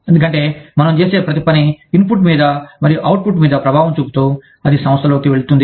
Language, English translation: Telugu, Because, everything we do, has an impact on the input, that goes into the organization, and the output of the organization